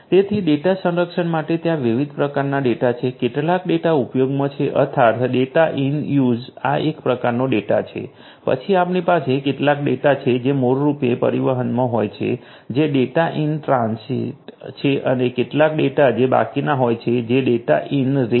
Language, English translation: Gujarati, So, for data protection there are different types of data, some data are in use this is one kind of data then we have some data which are basically in transit and some data which are in rest